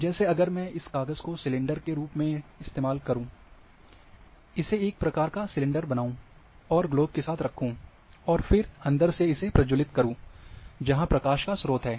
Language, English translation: Hindi, Like if I use this sheet as a as a cylinder, make it kind of cylinder, and put along the globe, and then glow from inside, thus light of source is inside